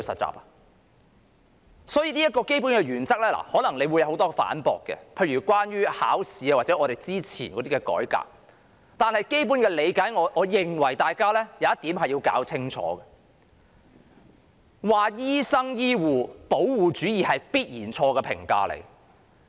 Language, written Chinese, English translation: Cantonese, 關於這個基本的原則，可能會惹來很多反駁，一如考試或之前的改革，但在基本理解上，我認為大家要弄清楚一點，就是指醫生、醫護是"保護主義"，那必然是錯誤的評價。, This basic principle may provoke a lot of rebuttals as with the examination or previous reforms . Yet as a basic understanding I think Members should be clear about one point that is the comment that doctors and healthcare workers are protectionists is definitely wrong